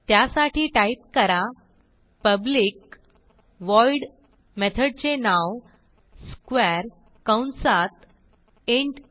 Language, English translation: Marathi, So type public void method name square within parentheses int a